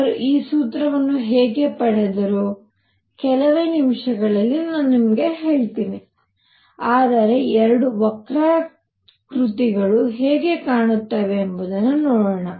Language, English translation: Kannada, How they got this formula, I will tell you in a few minutes, but let us see the two curves how do they look